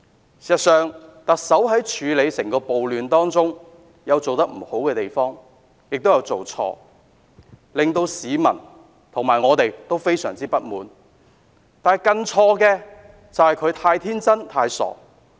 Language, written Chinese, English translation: Cantonese, 事實上，特首在處理整個暴亂事件方面確有未盡妥善之處，亦難免有犯錯，令市民和我們甚感不滿，但更錯的是，她太天真，亦太傻。, As a matter of fact there is still room for improvement concerning the way the Chief Executive dealt with the riots and it is inevitable for her to commit certain mistakes with which both the public and us are so displeased but it is her being too naive and too silly that has made matters worse